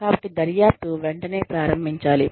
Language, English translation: Telugu, So, investigation should start, immediately